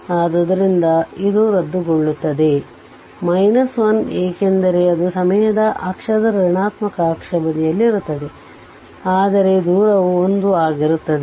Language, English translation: Kannada, So, this will be cancel minus 1 because it is on the negative axis negative side of the time axis, but distance is 1 right